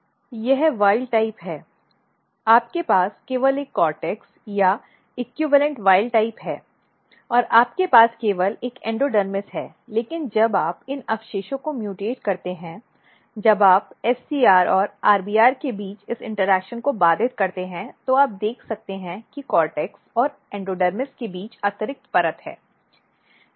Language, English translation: Hindi, So, this is wild type you have only one cortex or equivalent wild type and you have only one endodermis, but when you mutate these residue when you disrupt this interaction between SCR and RBR you can see that between cortex and endodermis there is extra layer